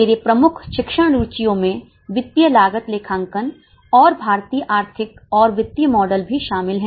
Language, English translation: Hindi, My major teaching interests include financial cost accounting and also Indian economic and financial model